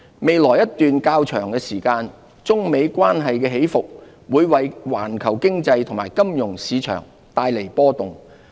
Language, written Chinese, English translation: Cantonese, 未來一段較長時間，中美關係的起伏會為環球經濟和金融市場帶來波動。, The fluctuating United States - China relations may turn the global economy volatile for some time